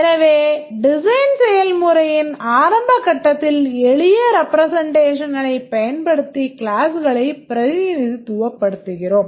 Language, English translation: Tamil, So, in the initial stage of the design process, we represent the classes using this representation